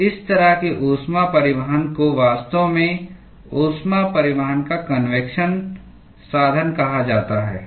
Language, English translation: Hindi, So, such kind of a heat transport is actually called as a convective mode of heat transport